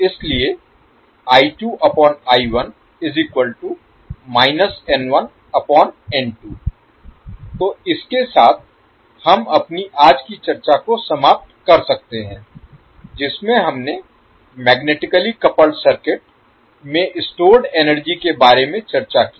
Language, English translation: Hindi, So this we can close our today’s discussion in which we discussed about the energy stored in magnetically coupled circuits